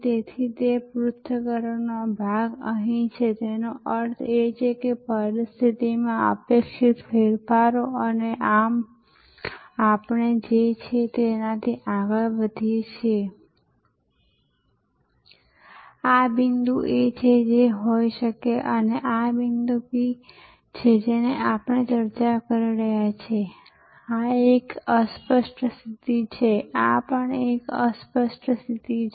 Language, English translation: Gujarati, So, that analyzing part is here, analyzing is done in response to what if's; that means anticipated changes in the situation and thereby we go from what is, this is the point A to what could be, this is the point B and as we discussed this is a fuzzy position, this is also a fuzzy position